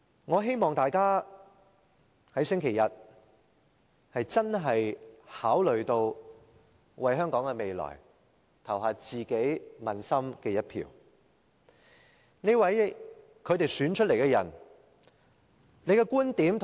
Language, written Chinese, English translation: Cantonese, 我希望大家在星期日考慮到香港的未來，投下自己問心無愧的一票。, I hope that when Members vote on Sunday they will give due consideration to the future of Hong Kong and vote with a clear conscience